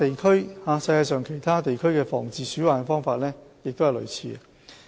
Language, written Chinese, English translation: Cantonese, 世界上其他地區的防治鼠患方法亦相類似。, These methodologies are in line with other regions of the world